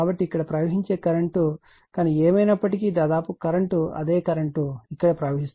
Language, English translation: Telugu, So, whatever current will flowing here almost current will be same current will be flowing here right, but anyway